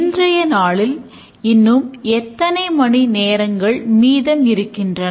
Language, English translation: Tamil, How many hours remaining today